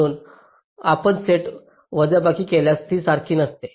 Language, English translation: Marathi, so if you take a set subtraction, these are not the same